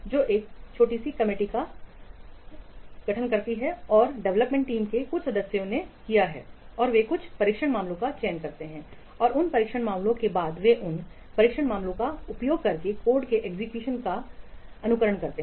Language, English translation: Hindi, So a small lot committee may be formed and a few members of the development team, they select some test cases and those test cases then they simulate execution of the code by using those test cases